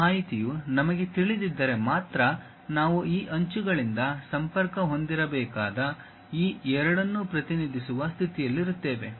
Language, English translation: Kannada, If we know that information only we will be in a position to represent these two supposed to be connected by these edges